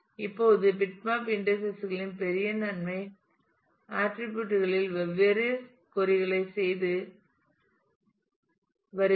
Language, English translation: Tamil, Now the big advantage of bitmap indices are doing different queries on multiple attributes